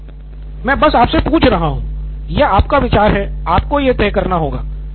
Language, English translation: Hindi, I am asking you, this is your idea, you have to do it